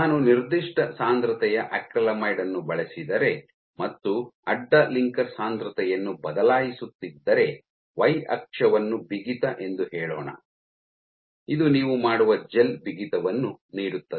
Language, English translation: Kannada, So, if I use a given concentration of acrylamide and I keep changing the cross linker concentration I will get and let us say my y axis is the stiffness that I will get, gel stiffness that you will make